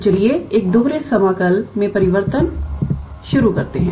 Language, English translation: Hindi, So, let us start change of variables in a double integral